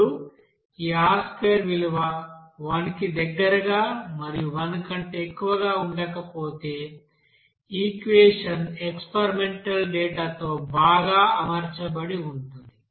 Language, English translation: Telugu, Now this R square value if it is coming near about to 1, not greater than 1, then you can say that the equation will be well fitted with the experimental data